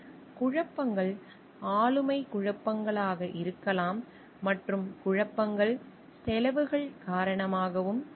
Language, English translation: Tamil, Conflicts could be personality conflicts and conflicts will be over costs also